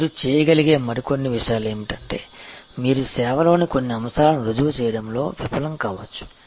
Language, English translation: Telugu, And the other few things you can do is that, you can make certain aspects of the service fail prove